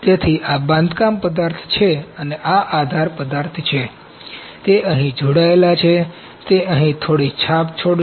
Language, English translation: Gujarati, So, this is the build material this is supports material, it is attached here, it will leave some mark here